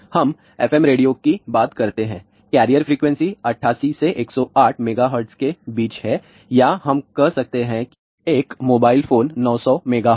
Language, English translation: Hindi, Let us say FM radio; the carrier frequency is between 88 to 108 megahertz or we can say that a mobile phone 900 megahertz